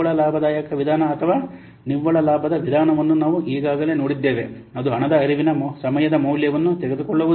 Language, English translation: Kannada, We have already seen net profitability method or net benefit method, the problem is that it doesn't take into the timing value of the cash flows